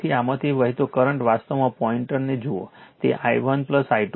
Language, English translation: Gujarati, So, current flowing through this actually look at the pointer it is, i 1 plus i 2